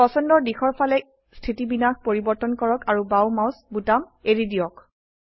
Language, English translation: Assamese, Change orientation in the desired direction and release the left mouse button